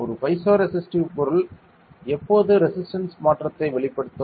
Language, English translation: Tamil, While a piezoresistive material will exhibit a change in resistance